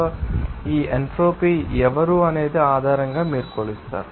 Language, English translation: Telugu, So, based on who is this entropy can be you know measured